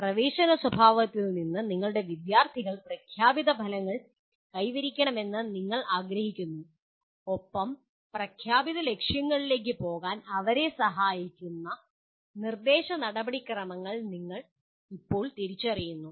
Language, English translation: Malayalam, Then from the entering behavior you want your students to attain the stated objectives and you now identify instruction procedures that facilitate them to go towards the stated objectives